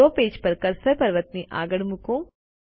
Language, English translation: Gujarati, On the draw page place the cursor next to the Mountain